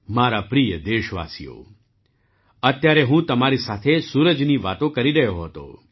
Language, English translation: Gujarati, My dear countrymen, just now I was talking to you about the sun